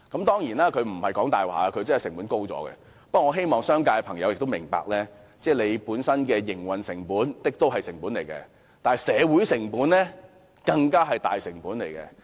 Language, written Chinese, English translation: Cantonese, 當然，他沒有說謊，成本真的高了，但我希望商界朋友明白，他們本身的營運成本是一種成本，但社會成本卻是更大的成本。, Certainly he did not lie as costs have really increased . However I hope friends in the business sector will understand their own operating cost is a kind of cost to them but social costs are much higher